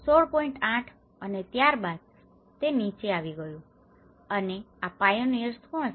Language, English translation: Gujarati, 8 and then later it came down; and who are these pioneers